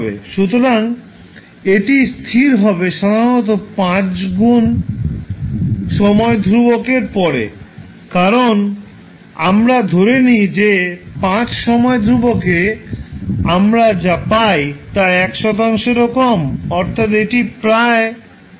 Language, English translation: Bengali, So, this will settle down after generally it settles down after 5 time constants because we assume that at 5 time constants the value what we get is less than 1 percent means it is almost settling to a 0 value